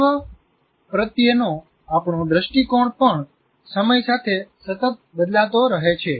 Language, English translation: Gujarati, Even our view of the world continuously changes with time